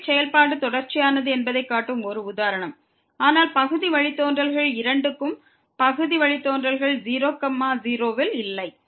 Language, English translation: Tamil, So, that is a one example which shows that the function is continuous, but the partial derivative both the partial derivatives do not exist at